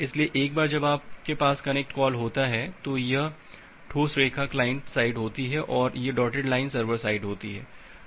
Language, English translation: Hindi, So, once you have connect call, so this solid line is the client side and this dotted line is the server side